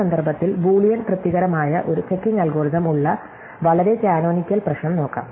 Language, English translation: Malayalam, So, in this context, let us look at a very canonical problem which has a checking algorithm called Boolean satisfiability